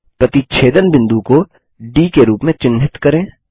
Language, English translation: Hindi, Lets mark the point of intersection as D